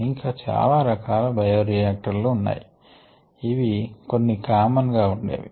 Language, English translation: Telugu, there are many other kinds of bioreactors also